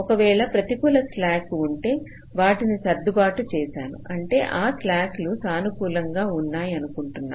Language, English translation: Telugu, if there are negative slacks, i have already meet some adjustments so that the slacks are become all positive